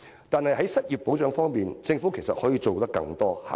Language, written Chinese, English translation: Cantonese, 但是，在失業保障方面，政府其實可以做得更多。, Actually in respect of unemployment protection the Government can do more